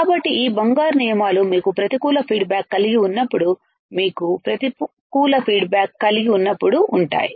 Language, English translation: Telugu, So, this golden rules tends to when you have negative feedback, when you have negative feedback